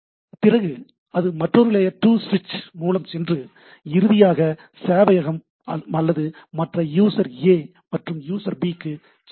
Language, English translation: Tamil, Then it can go to another layer 2 switch and finally, hits to this server or means to other party A and B, right